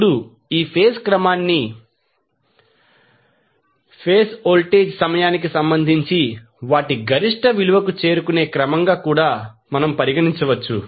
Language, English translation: Telugu, Now, this phase sequence may also be regarded as the order in which phase voltage reach their peak value with respect to time